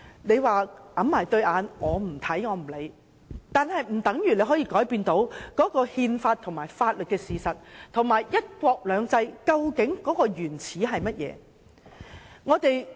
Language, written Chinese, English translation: Cantonese, 你可以捂着雙眼，不看不理，卻不可以改變憲法及法律的事實，以及"一國兩制"源自甚麼。, You can close your eyes and refuse to pay heed but you cannot change these constitutional and legal facts as well as the origin of one country two systems